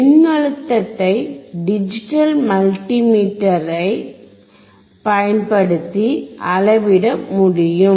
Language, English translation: Tamil, We can measure voltage with your digital multimeter